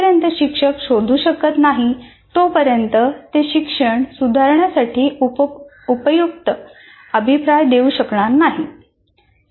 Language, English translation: Marathi, Unless the teacher is able to find out, he will not be able to give effective feedback to improve their thing